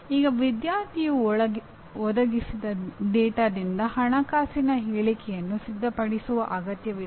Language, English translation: Kannada, Now a student is required to prepare a financial statement from the data provided